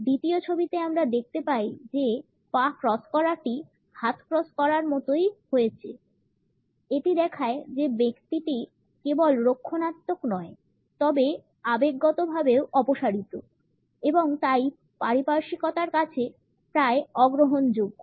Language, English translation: Bengali, In the second photograph, we find that the leg cross is duplicated by the arms crossed; it shows that the individual is not only defensive, but is also emotionally withdrawn and therefore, is almost unreceptive to surroundings